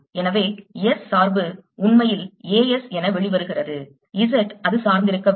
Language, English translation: Tamil, so the s dependence actually comes out to be a s z it doesn't depend on